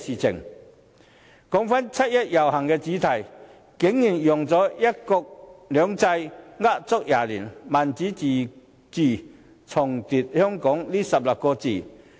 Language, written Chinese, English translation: Cantonese, 說到七一遊行的主題，今年竟然用到"一國兩制呃足廿年；民主自治，重奪香港"這16個字。, When it comes to the theme of this years 1 July march they use such phrases as One country two systems a lie of 20 years; Democratic self - government retake Hong Kong